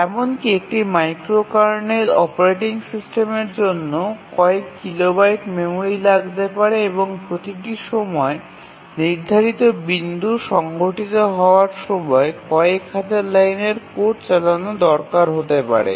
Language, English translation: Bengali, For example a micro kernel real time operating system which we will see later they take several even a micro kernel operating system may take several kilobytes of memory and requires running several thousands of lines of code each time a scheduling point occurs